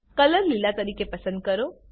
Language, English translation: Gujarati, Select Color as Green